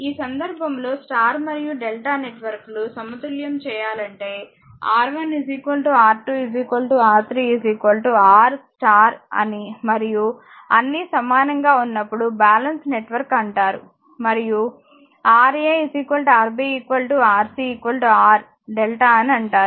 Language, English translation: Telugu, And if in this case if a suppose delta and star networks are said to be balanced and when R 1 R 2 is equal to R 3 is equal to R star, and when all are equal it is said is a balance network right and Ra, Rb, Rc is equal to R delta right